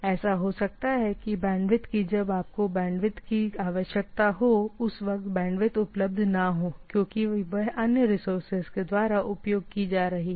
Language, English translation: Hindi, It may so happen that the bandwidth availability is not there or when you need because you are not preoccupying the resources